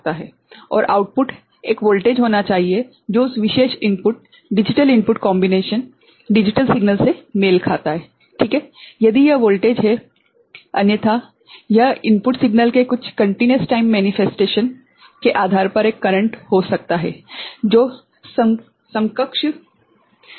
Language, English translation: Hindi, And output should be a voltage which corresponds to that particular this input, digital input combination digital signal ok if it is a voltage otherwise, it could be a current depending on some continuous time manifestation of the input signal, any equivalent manifestation ok